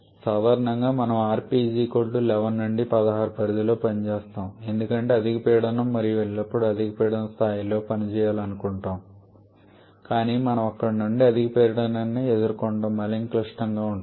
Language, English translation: Telugu, And commonly we work in the range of rp 11 to 16 because higher pressure we go of course we always want to have work at a higher pressure level but higher pressure that we go there we increased pressure level to deal with which makes the design more complicated